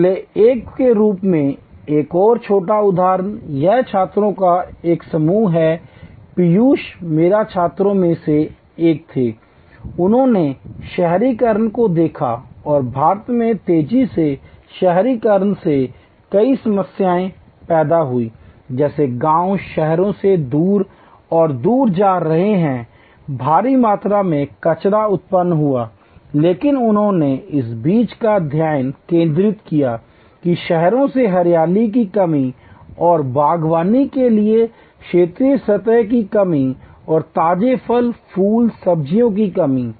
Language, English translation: Hindi, Another small example as a last one, this is a group of students recently use Piyush was one of my students there, they looked at urbanization and the many problems thrown up by rapid urbanization in India, like villages are moving away and away from cities, huge amount of waste generated, but they focused on this thing that lack of greenery and lack of horizontal surface for gardening and lack of fresh fruit, flowers, vegetables in cities